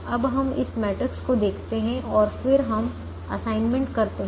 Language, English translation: Hindi, now we look at this matrix and then we make assignments one